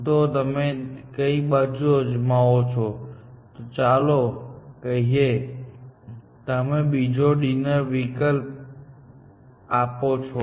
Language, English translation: Gujarati, So, you try something else, and let us say, you give another dinner option